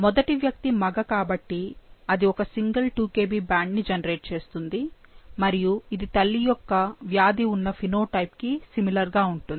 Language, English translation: Telugu, So, the first individual is a male and it, it generates a single 2 Kb band, which is similar to the diseased phenotype of the mother